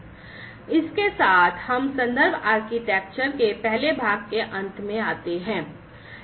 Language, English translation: Hindi, So, with this we come to the end of the first part of the reference architecture